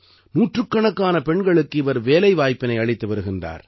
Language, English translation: Tamil, He has given employment to hundreds of women here